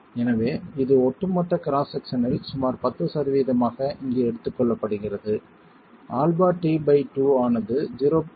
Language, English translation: Tamil, So, this is taken here as about 10% of the total cross section, alpha delta t by 2 as 0